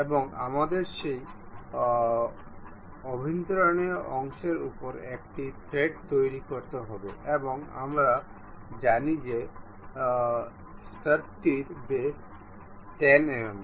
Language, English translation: Bengali, And we have to make thread over that internal portion and we know that the stud has diameter of 10 mm